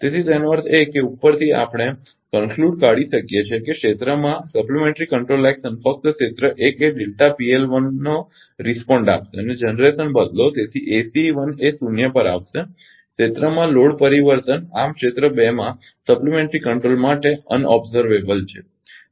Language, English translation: Gujarati, So, that means, from the above we can conclude that only the supplementary control action in area will area 1 will respond to delta PL 1 and change change generation so as to bring ACE 1 to zero, the load change in area 1 is thus unobservable to the supplementary control in area 2